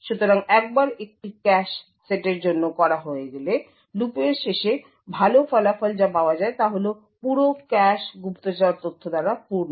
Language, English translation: Bengali, So, once this is done for all the cache sets what good result at the end of this for loop is that the entire cache is filled with spy data